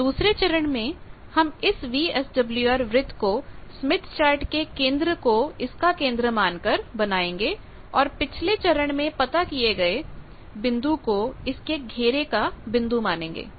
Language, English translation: Hindi, So, the second step is draw VSWR circle by taking Smith Chart centre as centre, and the point found in previous step as the peripheral point